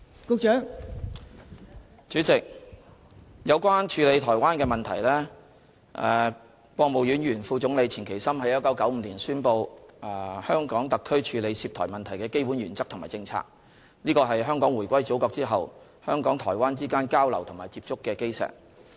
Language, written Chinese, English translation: Cantonese, 代理主席，有關處理台灣的問題，國務院前副總理錢其琛在1995年宣布，香港特區處理涉台問題的基本原則和政策，這是香港回歸祖國後，香港和台灣之間交流和接觸的基石。, Deputy President about the handling of the Taiwan issue former Vice Premier of the State Council Mr QIAN Qichen announced in 1995 the basic principles and policies which the HKSAR must follow when dealing with matters related to the Taiwan issue . These principles and policies form the very basis of exchanges and contacts between Hong Kong and Taiwan after the return of Hong Kong to the Motherland